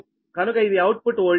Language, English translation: Telugu, this is the output voltage, right